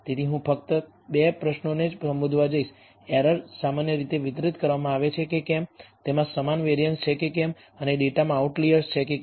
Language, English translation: Gujarati, So, I am going to only address the first 2 questions, whether the errors are normally distributed, whether they have equal variance and whether there are outliers in the data